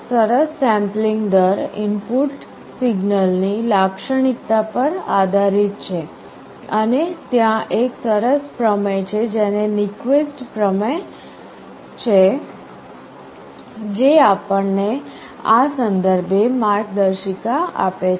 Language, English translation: Gujarati, Well sampling rate depends on the characteristic of the input signal and there is a nice theorem called Nyquist theorem that gives us a guideline in this regard